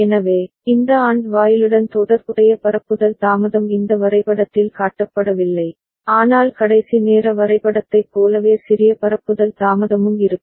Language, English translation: Tamil, So, the propagation delay associated with this AND gate has not been shown in this diagram, but there will be small propagation delay as was the case for the last timing diagram